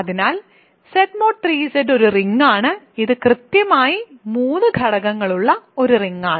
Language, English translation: Malayalam, So, Z mod 3 Z is a ring and it is a ring with exactly 3 elements